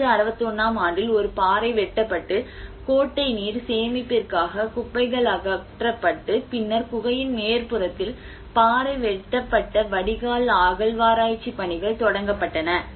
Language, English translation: Tamil, And whereas in 60 61 a rock cut cistern was cleared of debris for the storage of water and the excavation of rock cut drain on the top of the cave was started the work